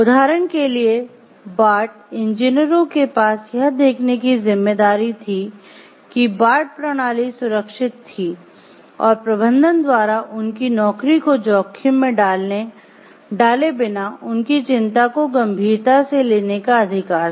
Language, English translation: Hindi, For example, the Bart engineers had a responsibility to the public to see that the Bart system was safe and the right to have their concerns taken seriously by management without risking their jobs